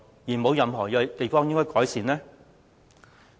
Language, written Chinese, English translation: Cantonese, 是否沒有任何應該改善的地方？, Are there no more areas that warrant improvement?